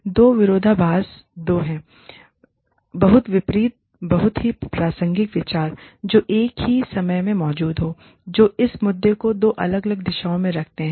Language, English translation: Hindi, So, paradoxes are two, very opposing, very pertinent views, that exist at the same time, that pull the issue in, two different directions